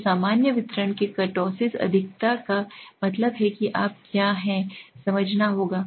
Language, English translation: Hindi, So the kurtosis excess of the normal distribution that means what you have to understand